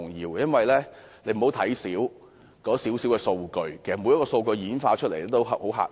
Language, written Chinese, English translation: Cantonese, 大家不要看輕小小的數據，每項數據演化出來的數字均十分嚇人。, We should not take lightly some insignificant data for the figures generated are very stunning